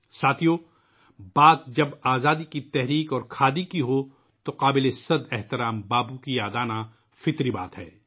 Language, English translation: Urdu, Friends, when one refers to the freedom movement and Khadi, remembering revered Bapu is but natural